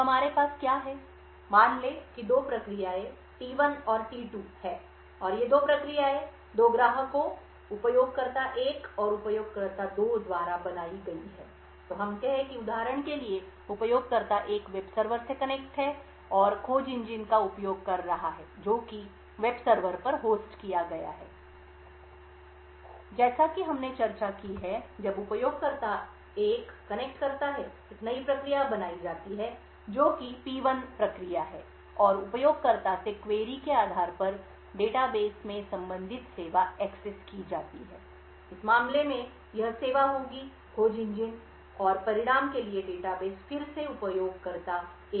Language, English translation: Hindi, So what we have, let us say is two processes T1 and T2 and these two processes are created by two clients, user 1 and user 2, so let us say for example user 1 is connects to the web server and is using search engine which is hosted on the web server as we have discussed when the user 1 connects a new process gets created which is process P1 and based on the query from the user, the corresponding service in the data base is accessed, in this case this service would be the data base for the search engine and the result is then sent back to the user 1